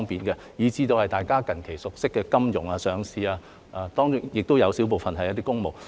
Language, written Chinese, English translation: Cantonese, 我亦提過大家近期熟悉的給予金融業及上市公司的豁免，亦有小部分涉及公務。, I have also mentioned the exemptions for the financial industry and listed companies which we have recently been familiar with . There is also a small part related to public services